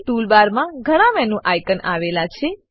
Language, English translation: Gujarati, Tool bar has a number of menu icons